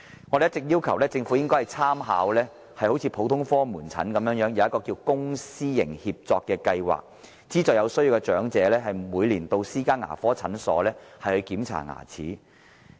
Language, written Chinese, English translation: Cantonese, 我們一直要求政府參考普通科門診的做法，實行公私營協作計劃，資助有需要的長者每年到私家牙科診所檢查牙齒。, We have been calling on the Government to make reference to the practice of general outpatient services to implement a public private partnership PPP programme and subsidize elderly persons in need to visit private dental clinics for annual dental check - ups